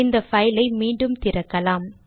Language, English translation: Tamil, Lets open this file here